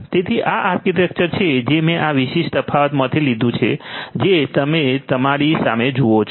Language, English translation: Gujarati, So, this is this architecture that I have taken from this particular difference that you see in front of you